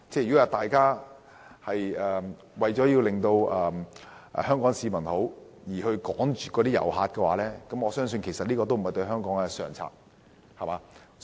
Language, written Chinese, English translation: Cantonese, 如果大家為了令香港市民感覺良好而驅趕旅客，我相信對香港來說，這也並非上策。, I do not think it is wise for Hong Kong to drive tourists away just to make the Hong Kong public feel good